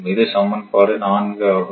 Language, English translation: Tamil, So, this is equation one